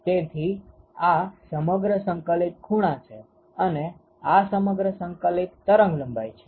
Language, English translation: Gujarati, So, this is integrated over all angles and, it is integrated over all wavelengths